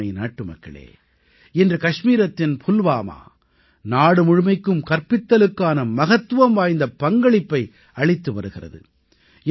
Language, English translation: Tamil, Today, Pulwama in Kashmir is playing an important role in educating the entire country